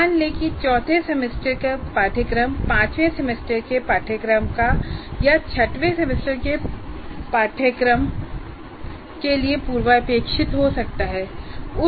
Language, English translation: Hindi, Let's say a fourth semester course can be prerequisite to a fifth semester course or a sixth semester course